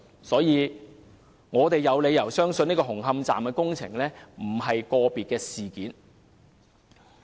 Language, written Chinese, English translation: Cantonese, 所以，我們有理由相信紅磡站的工程問題並非個別事件。, In view of this we have reason to believe that the Hung Hom Station construction problem is not an isolated case